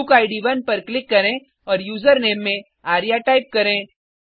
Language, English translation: Hindi, So switch to the browser Click on bookId 1 and type the username as arya